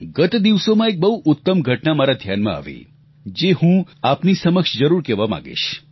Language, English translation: Gujarati, Recently I came across a wonderful incident, which I would like to share with you